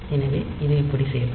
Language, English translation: Tamil, So, it will be doing like this